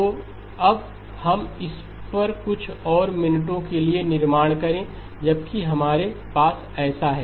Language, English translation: Hindi, So now let us build on this for a few more minutes while we have that